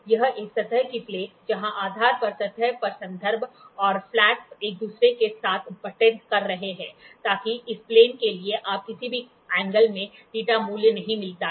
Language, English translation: Hindi, This is a surface plate, where the reference on the surface and the flat on the base are butted with each other, so that you do not get any angle theta value for this plane